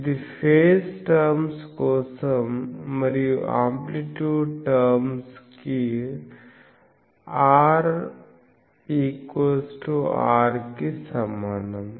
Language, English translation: Telugu, This is for phase terms and R is equal to r for amplitude terms